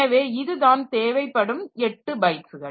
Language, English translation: Tamil, So, this is only 8 bytes as used